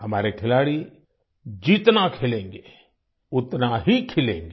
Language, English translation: Hindi, The more our sportspersons play, the more they'll bloom